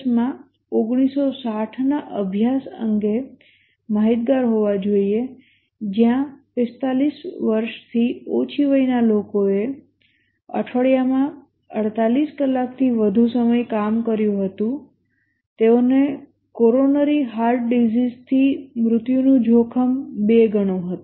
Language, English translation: Gujarati, But then as a manager we must be aware of the 1960 study in US where people under 45 who worked more than 48 hours a week had twice the risk of death from coronary heart ditches